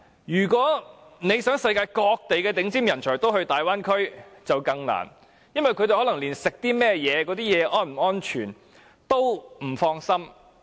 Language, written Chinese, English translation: Cantonese, 如果想世界各地的頂尖人才前往大灣區，便更困難，因為他們連進食的食品是否安全也感到不放心。, It will be even more difficult to convince outstanding talents in various places of the world to go to the Bay Area because they are even worried about the safety of the food they consume